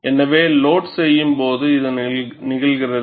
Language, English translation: Tamil, So, this happens during loading